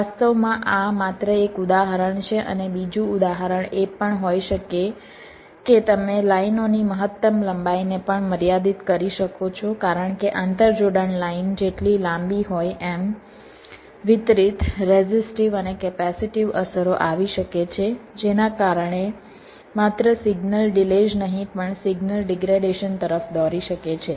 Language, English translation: Gujarati, this is just as an example, and also another example can be: you can also limit the maximum length of the lines because longer an interconnection line the distributed restive and capacitive effects can be coming which can lead to not only signal delays but also signal degradation